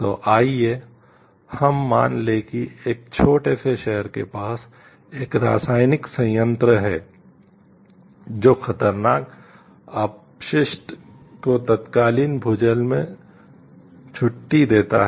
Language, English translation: Hindi, So, let us assume like there is a chemical plant near a small city that discharges the hazardous waste into then groundwater